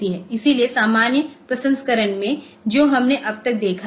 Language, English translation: Hindi, So, in normal proc processing that we have seen so far